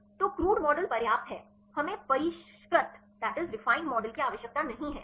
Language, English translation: Hindi, So, crude model is enough; we do not need the refined model